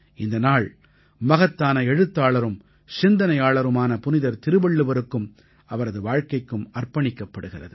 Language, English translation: Tamil, This day is dedicated to the great writerphilosophersaint Tiruvalluvar and his life